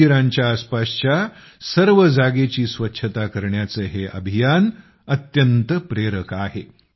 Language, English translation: Marathi, This campaign to keep the entire area around the temples clean is very inspiring